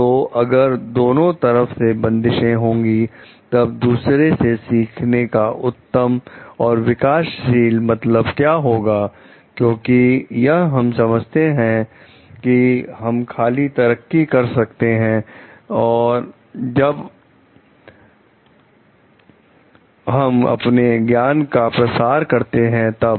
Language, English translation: Hindi, So, if there is a like restrictions on both sides, then what are the best and prudent means from learning from others because we understand we can grow only, when like we can like disseminate our knowledge